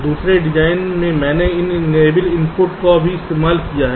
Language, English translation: Hindi, in the second design i have also used an enable input